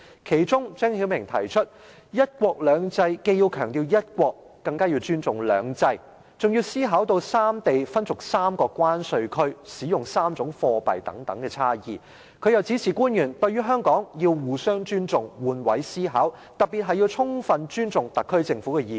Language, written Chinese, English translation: Cantonese, 其中，張曉明指出，"一國兩制"既要強調"一國"，更加要尊重"兩制"，還要考慮到三地分屬3個關稅區、使用3種貨幣等差異；他又指示官員，對於香港要互相尊重，換位思考，特別是要充分尊重特區政府的意見。, He also highlighted the differences among the three places which have to be considered . For example the three places belong to three separate tariff zones and use three different currencies . He further instructed officials to build mutual respect with Hong Kong to exercise perspective taking and to fully respect the views of the SAR Government in particular